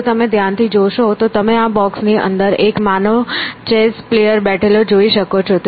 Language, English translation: Gujarati, If you look carefully, you can see that inside this box was a human chess player sitting this